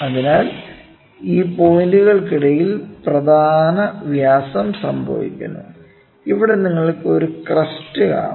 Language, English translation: Malayalam, So, major diameter happen between this point and see if you see that there is a crest, right here is a crest